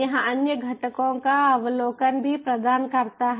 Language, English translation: Hindi, it also provide overview of the other components